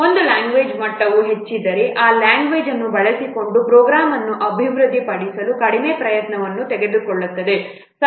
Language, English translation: Kannada, So, if the level of a what language is high, then it will take less effort to develop the program using that language